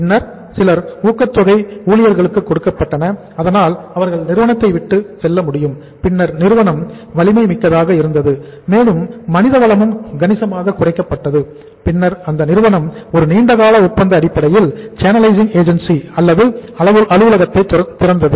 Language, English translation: Tamil, Then uh some other say incentives were given the employees so that they can leave the firm, they can leave the organization and then the strength of the company was significantly, human resource strength was significantly brought down and then company opened a long term contract channelizing agency or office in Dubai